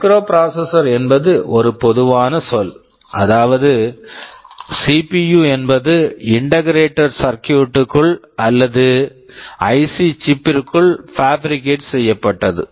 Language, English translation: Tamil, Microprocessor is a general term which means a CPU fabricated within a single integrated circuit or IC chip